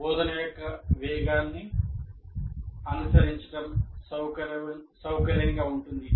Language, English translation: Telugu, The pace of the instruction is comfortable to follow